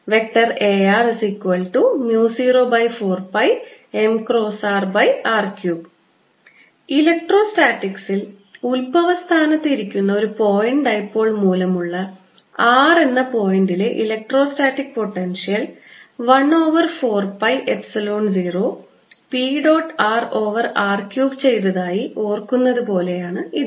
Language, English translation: Malayalam, this is similar to recall that for a, an electrostatics, the electrostatic potential at r due to a point dipole sitting at the origin was four pi one over four pi epsilon zero p dot r over r cubed